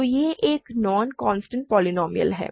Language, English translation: Hindi, So, it is a non constant polynomial